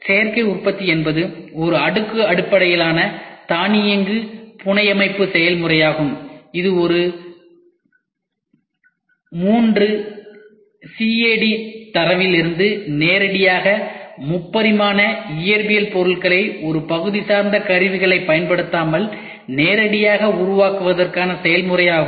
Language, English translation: Tamil, Additive Manufacturing is a layered based automated fabrication process for making scale 3 dimensional physical objects directly from a 3D cad data without using part depending tools this is very very important